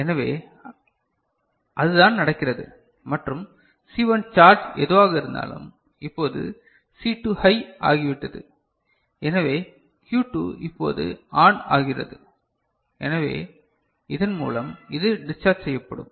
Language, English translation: Tamil, So, that is what is happening, right and whatever charge C1 has; now C2 has become high, so Q2 is now becoming ON, right, so it will get discharged through this, through this